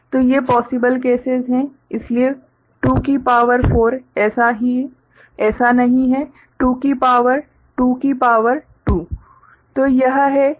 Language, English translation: Hindi, So, these are the possible cases so 2 to the power 4 is not it; 2 to the power 2 to the power 2